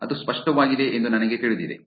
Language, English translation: Kannada, I know that is clear that